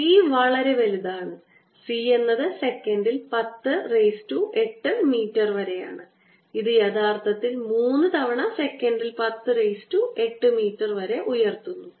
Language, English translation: Malayalam, c is a order of ten raise to eight meters per second is actually three times ten raise to eight meters per second